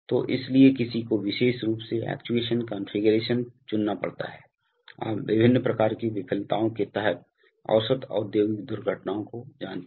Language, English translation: Hindi, So these, so one has to choose a particular actuation configuration to, you know avert industrial accidents under various kinds of failures